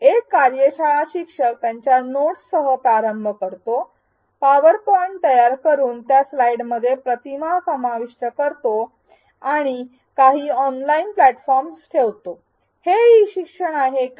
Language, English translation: Marathi, A workshop instructor starts with their notes creates PowerPoint slides out of them includes images and puts it up on some online platform is this e learning